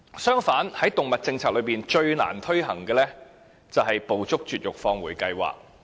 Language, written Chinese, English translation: Cantonese, 相反地，在動物政策中最難推行的是"捕捉、絕育、放回"計劃。, On the contrary the most difficult task under the animal policy is the Trap - Neuter - Return programme